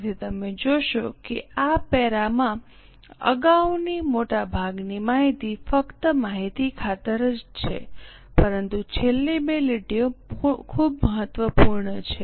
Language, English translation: Gujarati, So, you will observe that in this para most of the earlier information is just for the sake of information but the last two lines are very important